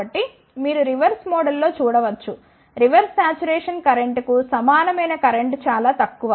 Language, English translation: Telugu, So, you can see in reverse mode there is a very less of current which is equivalent to the reverse saturation current